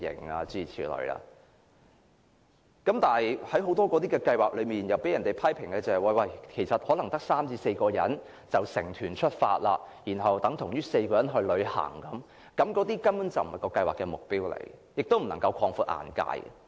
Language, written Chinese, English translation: Cantonese, 不過，類似的多項計劃卻被批評為只有3至4人參與便可成團，這等於4個人旅行，根本並非有關計劃的目標，亦無法讓參加者擴闊眼界。, But it has been criticized that many similar programmes will still be organized despite the participation of merely three or four people . This is no different from four people going on a leisure trip . And this is in defiance of the relevant programme objectives and is unable to broaden participants horizons